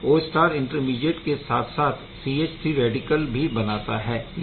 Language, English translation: Hindi, So, this is the Q star intermediate forming along with the formation of CH3 radical right